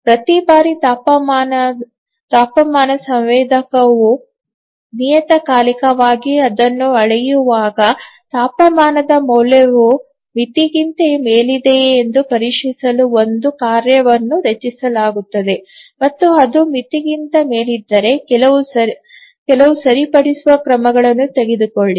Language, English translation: Kannada, So each time the temperature sensor measures it and it periodically measures a task is generated to check the temperature value whether it is above the threshold and then if it is above the threshold then take some corrective action